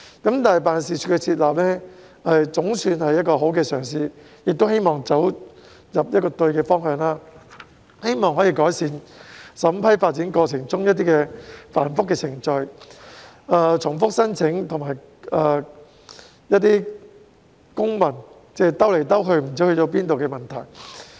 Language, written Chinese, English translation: Cantonese, 但是，辦事處的設立總算是好的嘗試，希望走對方向，可以改善審批發展過程中程序繁複、重複申請和公文旅行——即文件來來回回不知去向——的問題。, It is hoped that this is the right direction and can address the problems of complicated processes repeated applications and red tape steeple chase―the whereabouts of documents are unknown after going here and there―during the development approval process